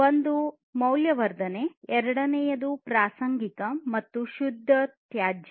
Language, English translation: Kannada, One is value added; second is incidental, and pure waste